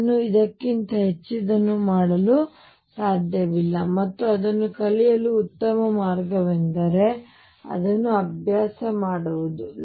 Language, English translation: Kannada, I cannot do more than this and the best way to learn it is to practice it yourself